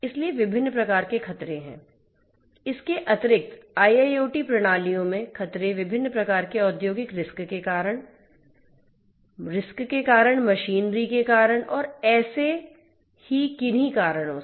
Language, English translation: Hindi, Additionally in IIoT systems, threats do 2 different types of industrial hazards; due to the hazards, due to the machineries and so on